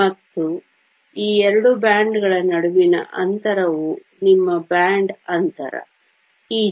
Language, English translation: Kannada, And the space between these two bands is your band gap E g